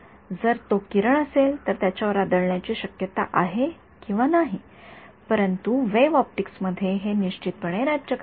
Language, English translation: Marathi, If it were a ray then there is a chance it hit or not, but this is in the wave optics reigning for sure